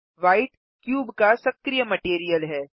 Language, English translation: Hindi, White is the cubes active material